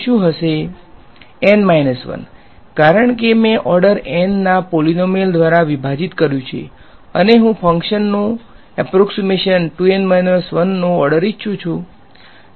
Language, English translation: Gujarati, N minus 1 at most because I have divided by polynomial of order N and I want the function approximation to order 2 N minus 1